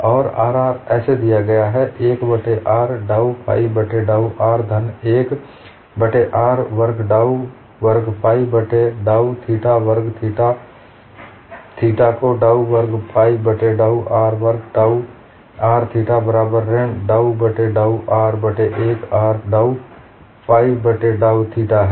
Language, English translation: Hindi, And sigma rr is given as 1 by r dou phi by dou r plus 1 by r square, dou squared phi by dou theta square sigma theta theta as dou square phi by dou r square tau r theta equal to minus dou by dou r of 1 by r dou phi by dou theta